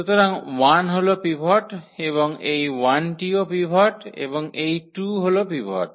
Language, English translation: Bengali, So, the 1 is the pivot and also this 1 is the pivot and this 2 is the pivot